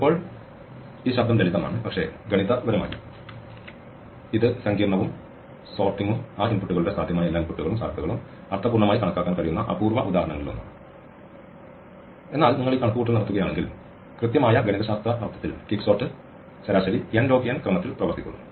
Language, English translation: Malayalam, Now, this sound simple but mathematically it is sophisticated and sorting is one of the rare examples where you can meaningfully enumerate all the possible inputs and probabilities of those inputs, but if you do this calculation it turns out that in a precise mathematical sense quicksort actually works in order n log n in the average